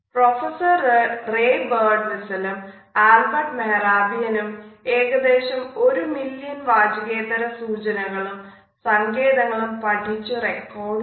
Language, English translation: Malayalam, These researchers, Professor Ray Birdwhistell and Mehrabian noted and recorded almost a million nonverbal cues and signals